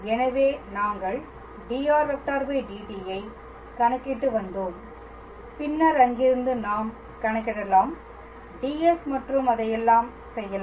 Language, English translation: Tamil, So, we were calculating dr dt then from there we can calculate dr ds and all that